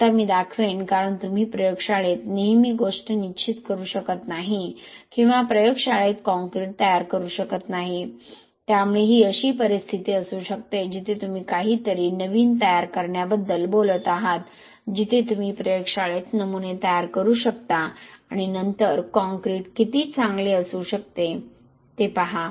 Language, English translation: Marathi, Now I will show because all the time you cannot really determine things in the laboratory or prepare the concrete in the labs, so this this could be a case where you are talking about constructing something new where you can prepare the samples in the laboratory and then see how good the concrete can be